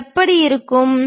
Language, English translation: Tamil, How it looks like